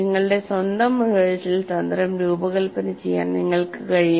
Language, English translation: Malayalam, You can design your own rehearsal strategy